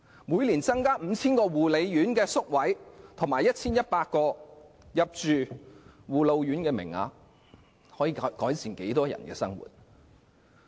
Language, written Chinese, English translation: Cantonese, 每年增加 5,000 個護養院宿位和 1,100 個護老院名額，可以改善多少人的生活？, How many people will have a better life if an additional 5 000 nursing home places and 1 100 places in care and attention homes for the elderly can be provided every year?